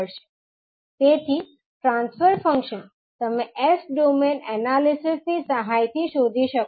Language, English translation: Gujarati, So, the transfer function you can find out with the help of the s domain analysis